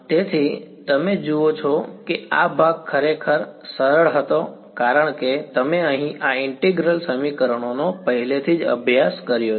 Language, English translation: Gujarati, So, you see this part was really easy because you have already studied these integral equations over here